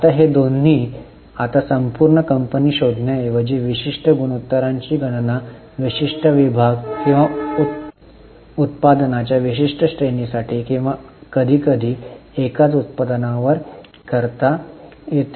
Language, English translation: Marathi, Now both this, now this particular ratio, instead of finding for the whole company, it can be calculated for a particular division or particular range of products or sometimes on a single product